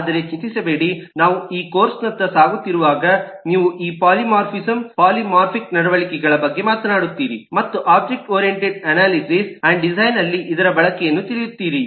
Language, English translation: Kannada, as we go along this course, you will talk about these eh: polymorphism, polymorphic behavior and the and its use in the object oriented eh analysis and design